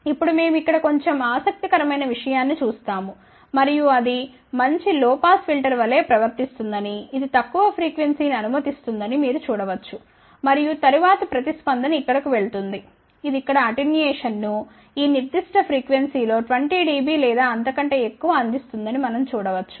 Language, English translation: Telugu, Now, we see little interesting thing over here and that is it behaves as a nice low pass filter you can see that it is passing the lower frequency and then the response is going over here, we can see that it is providing the attenuation here let us say about 20 dB or so, at this particular frequency